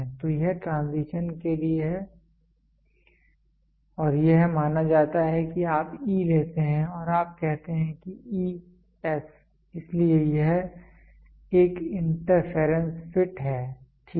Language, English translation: Hindi, So, this is for transition and this is for suppose you take E and you say E S, so it is an interference fit, ok